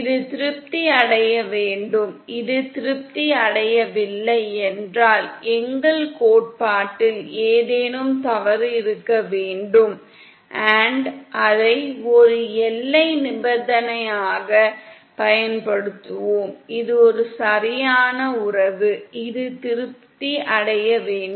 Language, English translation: Tamil, This must be satisfied, if this is not satisfied then there must be something wrong with our theory & we shall use it as a boundary condition, this is an exact relationship which must be satisfied